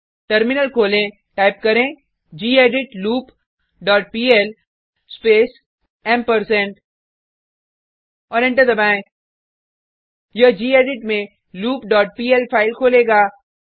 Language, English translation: Hindi, Open the Terminal, type gedit loop dot pl space ampersand and press Enter This will open loop dot pl file in gedit